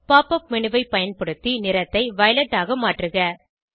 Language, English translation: Tamil, Using Pop up menu change the color to violet